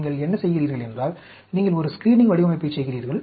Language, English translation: Tamil, What you do is, you do a screening design